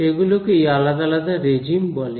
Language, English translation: Bengali, So, those are called different regimes